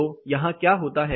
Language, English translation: Hindi, So, what happens here